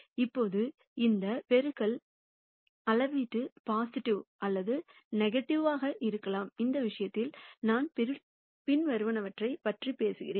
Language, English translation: Tamil, Now this multiplication scalar could be positive or negative, in which case we are talking about the following